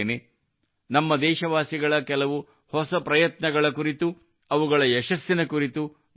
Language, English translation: Kannada, We will discuss to our heart's content, some of the new efforts of the countrymen and their success